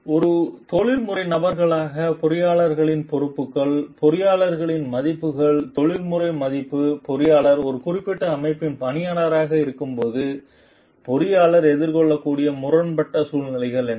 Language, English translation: Tamil, The responsibilities of engineers as a professional person, the values of the engineers the professional values what are the conflicting situations the engineer may face as when like the engineer is an employee of a particular organization